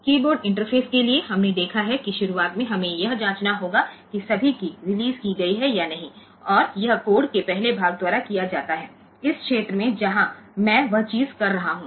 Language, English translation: Hindi, So, for the keyboard interface we have seen that for the initially we have to check whether all keys are released or not and that is done by the first part of the code, in this region where I am doing that thing